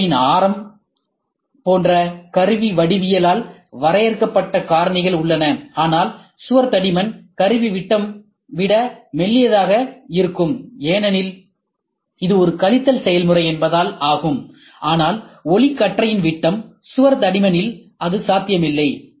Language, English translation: Tamil, There are factors that are defined by the tool geometry, like the radius of the internal corner, but wall thickness can be thinner than the tool diameter since it is a subtractive process, but there it is not possible beam diameter, wall thickness, here you can have much smaller